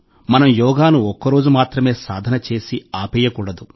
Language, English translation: Telugu, We do not have to make Yoga just a one day practice